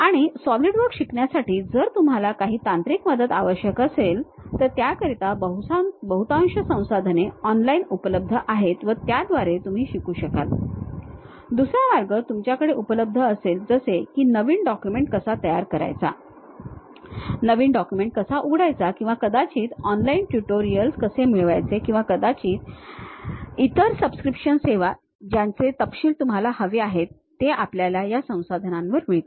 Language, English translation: Marathi, And most of the resources you require any technical help regarding learning Solidworks one on online you will learn, other way you will have something like how to create a new document, how to open a new document or perhaps how to get online tutorials or perhaps some other subscription services you would like to have these kind of details we will get at this resources